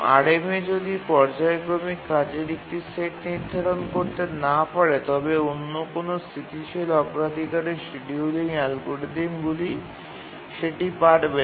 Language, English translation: Bengali, So, if RMA cannot schedule a set of periodic tasks, no other static priority scheduling algorithms can